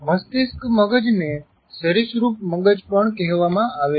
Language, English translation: Gujarati, The brain stem is also referred to as reptilian brain